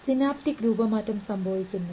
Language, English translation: Malayalam, The synaptic shape changes